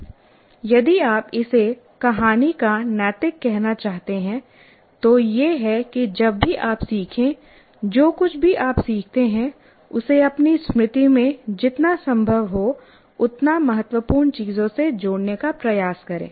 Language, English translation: Hindi, If you want to call it moral of the story is that whenever you learn, try to associate whatever you learn which you consider important to as many things in your memory as they are in the past